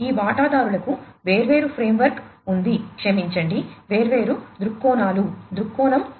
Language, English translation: Telugu, These stakeholders have different framework sorry have different viewpoints, viewpoint 1